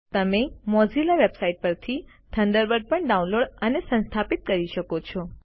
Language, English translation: Gujarati, You can also download and install Thunderbird from the Mozilla website